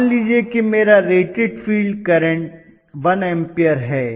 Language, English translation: Hindi, Let say my rated field current is 1 ampere